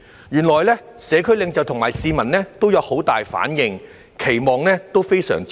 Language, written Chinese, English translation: Cantonese, 原來社區領袖和市民都有很大反應，期望也非常大。, It turns out that there are great responses and very high expectations from the community leaders and members of the public